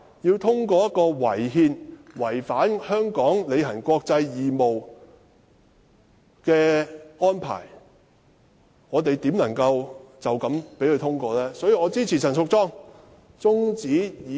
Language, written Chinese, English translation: Cantonese, 面對這項違憲且違反香港履行國際義務的法案，試問我們怎能隨便通過《條例草案》？, How can we arbitrarily pass the Bill when it is unconstitutional and breaches the international obligations of Hong Kong?